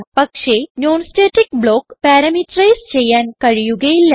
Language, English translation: Malayalam, But the non static block cannot be parameterized